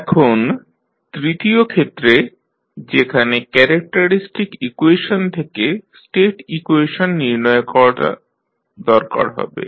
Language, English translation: Bengali, Now the third case, when you need to find out the characteristic equation from State equation